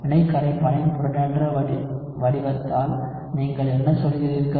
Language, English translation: Tamil, So, what do you mean by protonated form of reaction solvent